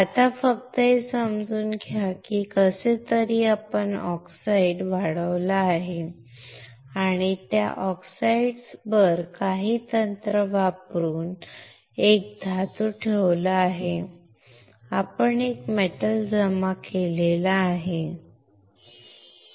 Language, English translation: Marathi, Right now, just understand that somehow, we have grown the oxide and on that oxide using some technique we have deposit a metal we have deposited a metal, all right